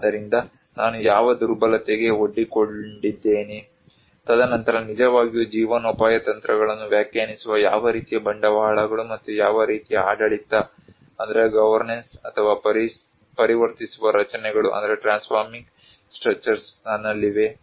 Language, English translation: Kannada, So, what vulnerability I am exposed to, and then what kind of capitals and what kind of governance or transforming structures I have that actually define the livelihood strategies